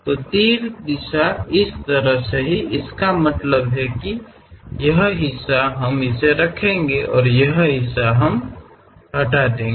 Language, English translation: Hindi, So, arrow direction is in this way; that means this part we will keep it and this part we will remove it